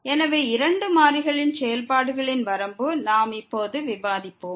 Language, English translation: Tamil, So, Limit of Functions of Two Variables, we will discuss now